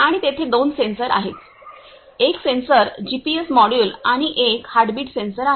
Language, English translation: Marathi, And there are two sensors; one sensor is GPS module and the one is heartbeat sensor